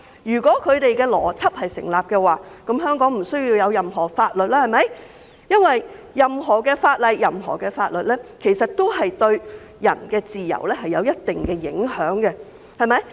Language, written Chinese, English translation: Cantonese, 如果他們的邏輯成立，香港便不需要任何法律，因為任何法律都對人的自由有一定影響。, Should their logic stand Hong Kong does not need any law because any law would affect peoples freedoms in certain ways